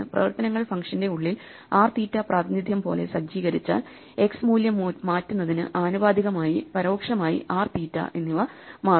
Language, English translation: Malayalam, So, if inside the functions we start setting r theta as the representation, then changing the x value will correspondingly change r and theta indirectly